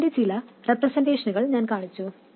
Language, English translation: Malayalam, I have shown some representation of that